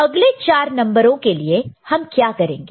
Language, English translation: Hindi, Now, to get next 4 numbers what we shall we do